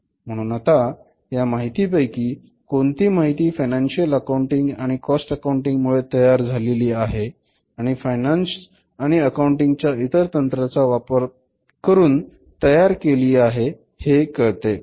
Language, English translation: Marathi, So, which one is that information out of the total information generated by the financial accounting cost accounting and the other techniques of say finance and accounting